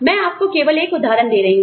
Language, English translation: Hindi, I am just giving you an example